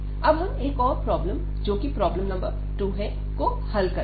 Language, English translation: Hindi, So, we do one more problem here that is problem number 2